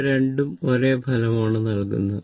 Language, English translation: Malayalam, It will give you the same result